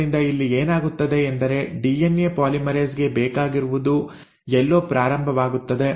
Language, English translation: Kannada, So what happens here is all that DNA polymerase needs is somewhere to start